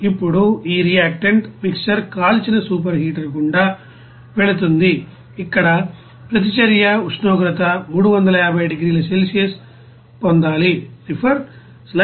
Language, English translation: Telugu, Now this reactant mixer passed through a fired super heater where reaction temperature 350 degrees Celsius is to be obtained